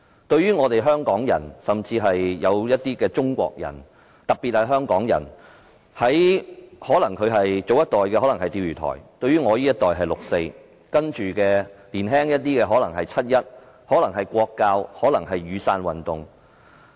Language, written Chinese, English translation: Cantonese, 對於香港人甚至部分中國人，特別是香港人，早一代的事情可能是釣魚台事件，到了我這一代便是六四，而較年輕的一代則可能是七一、"國教"或雨傘運動。, To Hong Kong people and even some Chinese people but Hong Kong people in particular the Diaoyu Islands incident might affect or inspire people of the last generation the 4 June incident for this generation and for the younger generation it might be the demonstrations held on 1 July the movement against national education or the Umbrella Movement